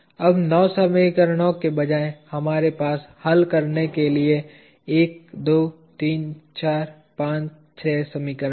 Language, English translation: Hindi, Now, instead of nine equations we have 1, 2, 3, 4, 5, 6 equations to be solved